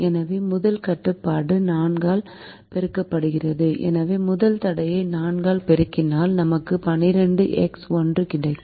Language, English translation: Tamil, instead of multiplying the first constraint by by ten, we multiply the first constrain by four, so the first constraint is multiplied by four